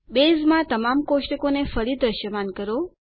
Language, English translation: Gujarati, Bring back all the tables to visibility in Base